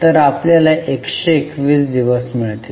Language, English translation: Marathi, So, you get 121 days